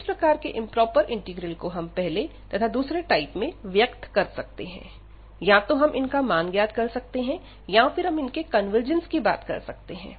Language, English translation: Hindi, So, such improper integrals of we can express in terms improper integrals of the first and the second kind, and then we can basically evaluate such integrals or we can talk about the convergence of such integrals